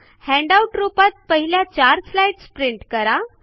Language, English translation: Marathi, Print the first four slides as a handout